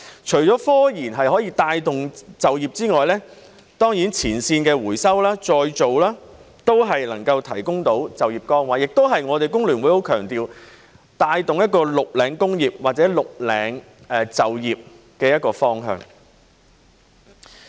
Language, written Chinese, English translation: Cantonese, 除了科研可以帶動就業之外，前線的回收再造都能夠提供就業崗位，這亦是我們香港工會聯合會很強調須帶動一個"綠領"工業或"綠領"就業的方向。, Apart from the fact that the development of scientific research can spur employment frontline waste recovery and recycling can also create jobs . This echoes the direction of promoting a green collar industry or green collar employment that we in the Hong Kong Federation of Trade Unions have strongly emphasized